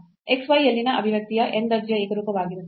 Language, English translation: Kannada, So, an expression in xy is homogeneous of order of order n there